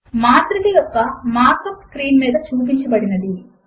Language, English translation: Telugu, The markup for the matrix is as shown on the screen